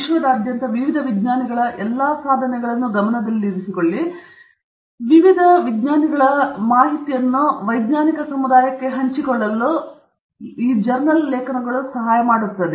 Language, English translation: Kannada, Keep track of all the accomplishments of various scientists around the world and to help the scientific community share this information between various scientists, and therefore, it is very important, and then, it also gets used